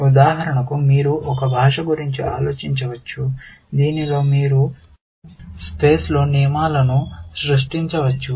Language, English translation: Telugu, For example, you can think of a language in which, you can create rules on the fly, essentially